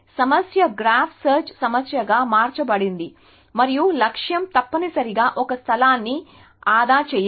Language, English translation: Telugu, So, the problem is have been transformed into a graph search problem and the goal is to save one space essentially